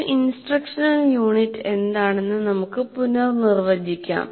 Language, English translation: Malayalam, Now let us again redefine what an instructional unit is